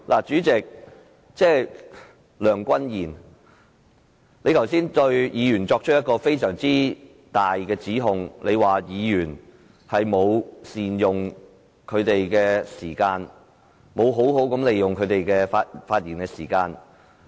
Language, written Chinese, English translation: Cantonese, 主席，梁君彥，你剛才對議員作出非常嚴重的指控，指議員沒有善用時間，沒有好好利用他們的發言時間。, Chairman Andrew LEUNG . Just now you made a very serious allegation against Members claiming they did not make good use of their time to speak